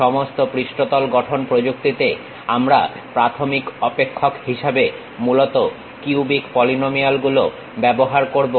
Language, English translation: Bengali, In all these surface construction techniques, we mainly use cubic polynomials as the basis functions